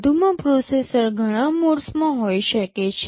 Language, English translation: Gujarati, In addition the processor can be in many modes